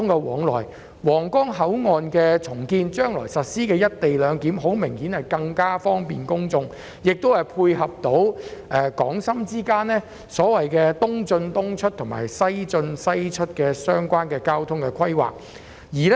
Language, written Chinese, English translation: Cantonese, 重建皇崗口岸，將來實施"一地兩檢"，顯然更為方便公眾，亦可配合港深之間"東進東出、西進西出"的交通規劃。, Upon the redevelopment of Huanggang Port the implementation of co - location arrangement will certainly bring more convenience to the public and dovetail with the transport plan of East in East out West in West out between Hong Kong and Shenzhen